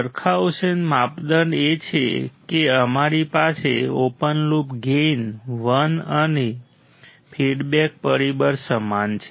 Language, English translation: Gujarati, Barkhausen criteria is that we have an open loop gain equal to 1 and feedback factor